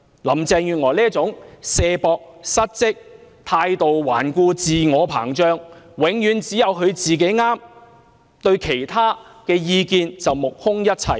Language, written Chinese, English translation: Cantonese, 林鄭月娥推卸責任、失職、態度頑固、自我膨脹，永遠只有她是對的，對其他意見則目空一切。, There is dereliction of duty on her part . She is stubborn . She brags on her inflated ego that only she is always right and turns a deaf ear to other opinions